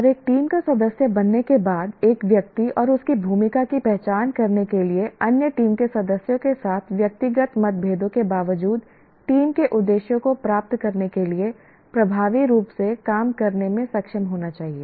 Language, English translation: Hindi, And an individual after becoming a member of a team and identifying his or her role should be able to work effectively to achieve the team's objectives in spite of personal differences with other team members